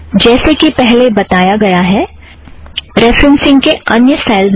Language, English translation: Hindi, As mentioned earlier, there is a large number of referencing styles